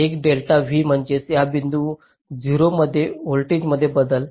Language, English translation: Marathi, so delta v means change in voltage across this point zero